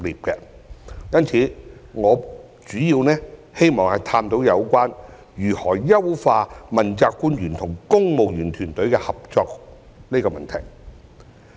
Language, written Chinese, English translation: Cantonese, 因此，我主要希望探討如何優化問責官員與公務員團隊的合作這個問題。, I would therefore like to focus on how to enhance the cooperation between principal officials and the civil service team